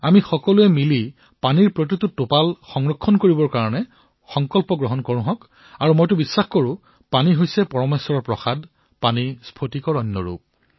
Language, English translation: Assamese, We together should all resolve to save every drop of water and I believe that water is God's prasad to us, water is like philosopher's stone